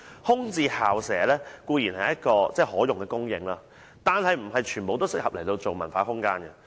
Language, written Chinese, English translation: Cantonese, 空置校舍固然是可用的土地供應，但並非全部也適合用作文化空間。, Vacant school premises are indeed an usable land supply but not all of them are suitable for cultural space